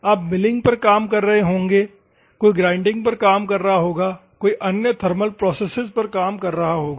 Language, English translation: Hindi, You may be working on milling, somebody working on grinding, somebody may be working on some other thermal processes and others